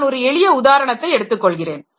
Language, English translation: Tamil, I will take a very simple example